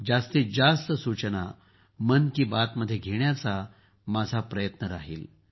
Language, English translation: Marathi, My effort will be to include maximum suggestions in 'Mann Ki Baat'